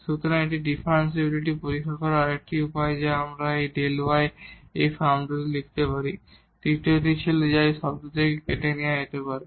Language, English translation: Bengali, So, this is another way of testing differentiability that we can write down this delta y in this form; the third one was which is which can be deducted from this term itself